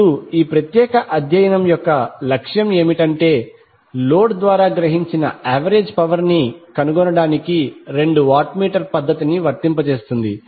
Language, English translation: Telugu, Now the objective for this particular study is that will apply two watt meter method to find the average power absorbed by the load